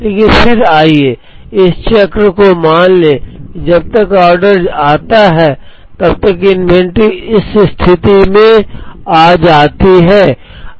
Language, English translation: Hindi, But then, let us assume in this cycle by the time the order comes the inventory has come down to this position